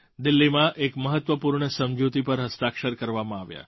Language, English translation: Gujarati, A significant agreement was signed in Delhi